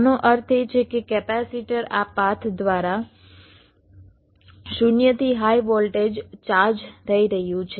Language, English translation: Gujarati, this means the capacitor is charging from zero to high voltage via this path